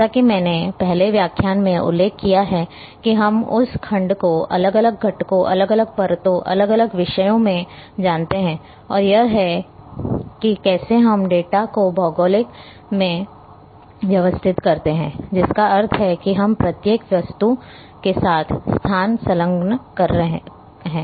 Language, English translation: Hindi, As I mentioned in the first lecture that we you know segment that natural ward into different components, different layers, different themes and this is how that we organize the data into geographic means we attach the location with each object